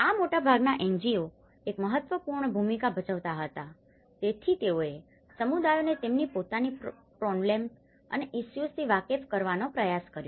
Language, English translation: Gujarati, These were the most of the NGOs plays an important role, so they tried to make the communities aware of their own problems and the issues